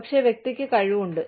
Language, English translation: Malayalam, But, the person has the capability